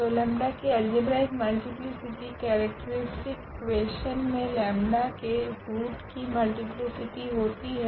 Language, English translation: Hindi, So, algebraic multiplicity of lambda as a root of the its a multiplicity of lambda as a root of the characteristic equation